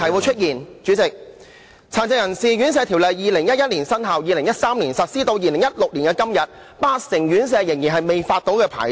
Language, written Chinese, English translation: Cantonese, 《殘疾人士院舍條例》在2011年生效 ，2013 年實施，到了2016年的今天，八成院舍仍然未獲發牌照。, The Residential Care Homes Ordinance came into force in 2011 and was implemented in 2013 . Today in 2016 80 % of care homes are yet to be granted licences